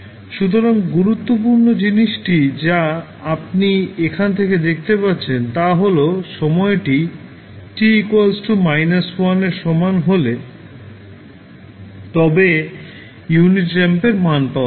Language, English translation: Bengali, So, important thing which you can see from here is that at time t is equal to minus 1 you will get the value of unit ramp